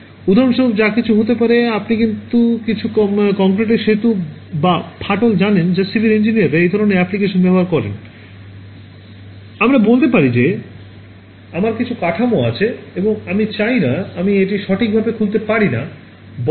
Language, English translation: Bengali, Could be anything it could be for example, you know some bridge or cracks in concrete that is what civil engineers use these kinds of applications; let us say I have some structure and I do not want to I cannot open it up right